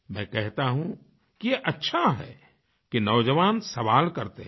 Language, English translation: Hindi, I say it is good that the youth ask questions